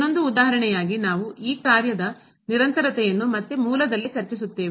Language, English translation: Kannada, Another example we will discuss the continuity of this function again at origin